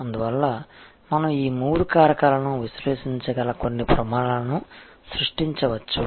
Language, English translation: Telugu, And therefore, we may create some standards by which we will be able to evaluate these three factors